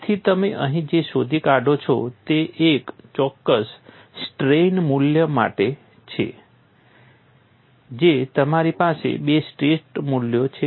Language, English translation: Gujarati, So, what you find here is for a particular strain value you have 2 stress values